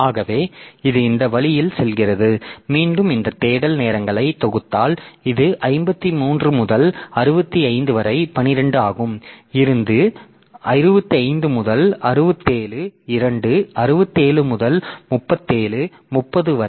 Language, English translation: Tamil, And again if you sum up this 6 times, then this is from 53 to 65 that is 12, from 65 to 67 2, from 67 to 37